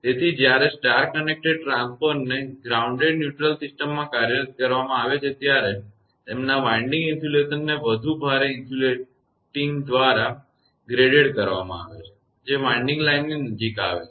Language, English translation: Gujarati, So, when star connected transformer are employed in grounded neutral systems their winding insulations are graded by more heavily insulating the winding turns closer to the line